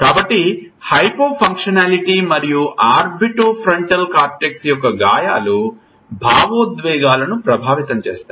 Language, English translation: Telugu, So, Hypofunctionality and lesions of orbitofrontal cortex affects emotions